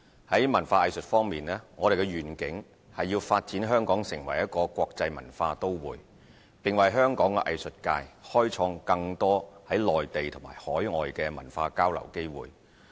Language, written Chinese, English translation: Cantonese, 在文化藝術方面，我們的願景是發展香港成為一個國際文化都會，並為香港藝術界開創更多內地及海外的文化交流機會。, On the arts and culture front our vision is to develop Hong Kong into an international cultural metropolis and create more cultural exchange opportunities in the Mainland and overseas for the local art community